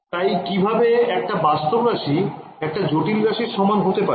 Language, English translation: Bengali, So, how can a real number be equal to complex number cannot be right